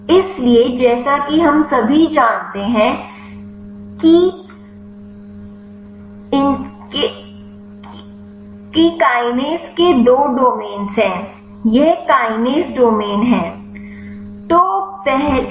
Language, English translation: Hindi, So, as we all know kinase has two domains this is the kinase domain